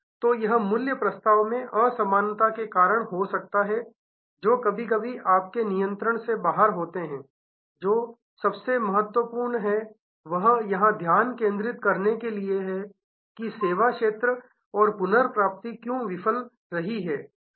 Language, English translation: Hindi, So, it could be due to value proposition miss match that is sometimes beyond your control, what is most important is to focus here that why service field and why recovery failed